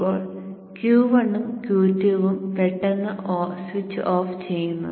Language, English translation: Malayalam, And now Q1 and Q2 are suddenly switched off